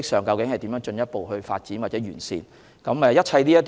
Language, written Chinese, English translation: Cantonese, 究竟可如何進一步發展或完善這方面的模式呢？, Actually how can the approach in question be further developed or improved?